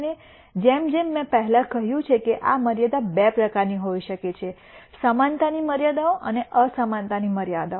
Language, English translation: Gujarati, And as I mentioned before these constraints could be of two types, equality constraints and inequality constraints